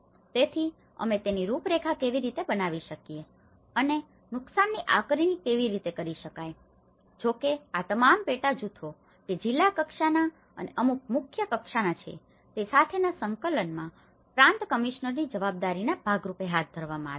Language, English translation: Gujarati, So, how we can profile it and how to make the damage assessments, though this has been conducted as a part of the provincial commissioner's responsibilities, in coordination with all the subgroups which is the district level and the chief level